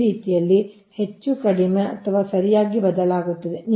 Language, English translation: Kannada, right, this way, more or less, it varies